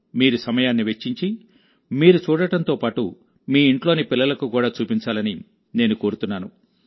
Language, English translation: Telugu, I urge you to take time out to watch it yourself and do show it to the children of the house